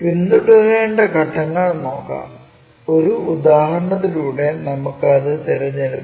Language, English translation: Malayalam, Steps to be followed, let us pick it through an example